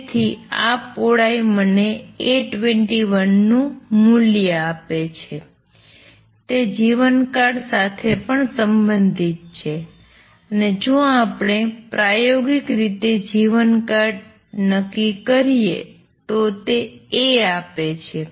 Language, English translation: Gujarati, So, this width gives me the value of A 21 it is also related to lifetime and experimentally if we determine the lifetime this gives A